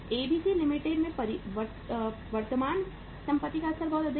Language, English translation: Hindi, In ABC Limited the level of current assets is very high